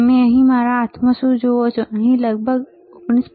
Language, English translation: Gujarati, So, what do you see in my hand here, right